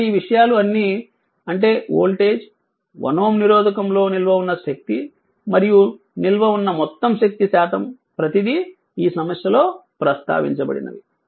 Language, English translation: Telugu, So, all these things I mean whatever the I mean what voltage, then energy stored in resistor 1 ohm, and percentage of the total energy stored everything is mentioned in this problem so